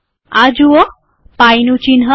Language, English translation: Gujarati, See this pie symbol